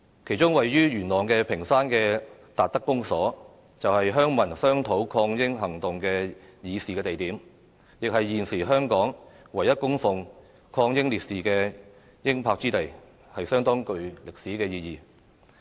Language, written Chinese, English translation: Cantonese, 其中位於元朗屏山的達德公所，便是鄉民商討抗英行動的議事地點，亦是現時香港唯一供奉抗英烈士英魂之地，相當具歷史意義。, The Tat Tak Communal Hall in Ping Shan Yuen Long a meeting place of villagers to discuss their anti - British resistance is the only place in Hong Kong where souls of the anti - British martyrs are worshipped . The place is of considerable historical significance